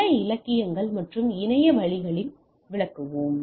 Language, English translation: Tamil, We will presented in several literatures and internet resources